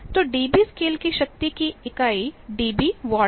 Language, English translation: Hindi, So, the unit of power of the dB scale is dB watt